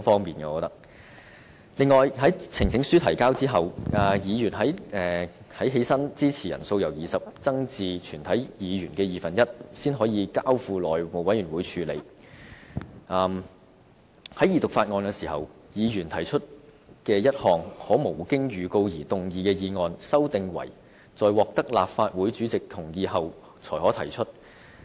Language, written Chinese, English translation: Cantonese, 此外，關於在提交呈請書後，議員站立支持的人數由20人增至全體議員的二分之一，才能交付內務委員會處理的修訂，以及在二讀法案時，議員提出一項可無經預告而動議的議案，修訂為在獲得立法會主席同意後才可提出的建議。, On the presentation of petitions in order for a petition to be referred to the House Committee we now need one half of all Members of the Council to rise in their places increased from 20 Members currently . In respect of Members right to move without notice a motion during the Second Reading of bills it is proposed that Members can do so only with the consent of the President